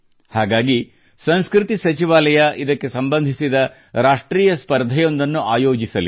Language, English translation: Kannada, Therefore, the Ministry of Culture is also going to conduct a National Competition associated with this